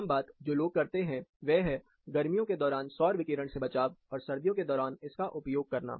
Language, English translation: Hindi, Common thing which people do is, shield solar radiation during summer, and harness it during winter